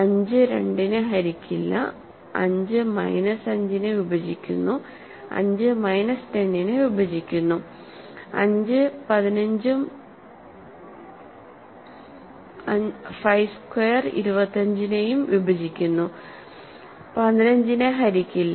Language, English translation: Malayalam, So, 5 does not divide 2, 5 divides minus 5, 5 divides minus 10, 5 divides 15 and 5 squared which is 25, does not divide 15